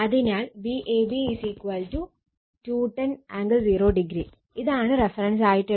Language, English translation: Malayalam, So, V ab is equal to 210 angle 0 degree, this is the reference we have to take